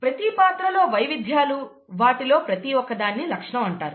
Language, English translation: Telugu, The variants of each character, each one of them is called a trait